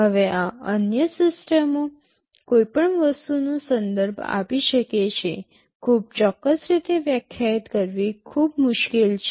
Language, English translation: Gujarati, Now this “other systems” can refer to anything, it is very hard to define in a very specific way